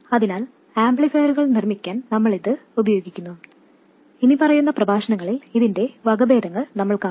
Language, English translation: Malayalam, So, we will use this to make amplifiers, we will see variants of this in the following lectures